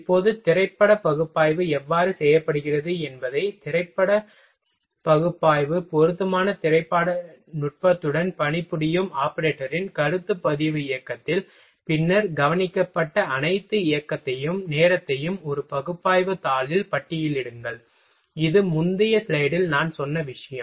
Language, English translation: Tamil, Now, film analysis how film analysis is done, at a concept record movement of a working operator with an appropriate film technique, then list all the observed motion and time employed into an analysis sheet that is the thing I said in earlier slide